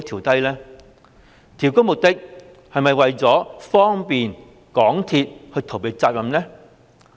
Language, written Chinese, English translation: Cantonese, 調高的目的是否方便港鐵公司逃避責任？, Was it adjusted upward for the purpose of enabling MTRCL to evade its responsibility?